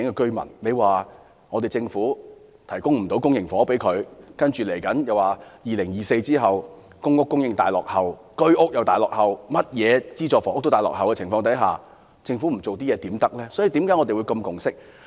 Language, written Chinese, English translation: Cantonese, 政府無法向他們提供公營房屋，然後又表示2024年後公屋和居屋供應大落後，所有資助房屋供應均大大落後於需求，那麼為何政府不做一些工作。, The Government is not able to rehouse them in public housing . Then you said that after 2024 there will be a swing down of the supply of public rental housing and home ownership units with the supply of all subsidized housing lagging far behind the demand . Hence why does the Government not doing some work